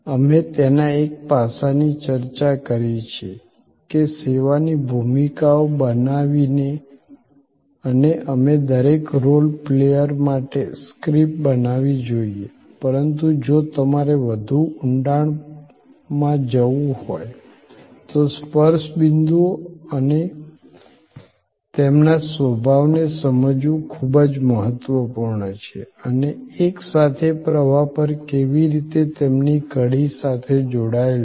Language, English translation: Gujarati, We have discussed one aspect of it that by create service roles and we creates scripts for each role player, but if you want to go into deeper, it is very important to understand the touch points and their nature and the how their link together on the flow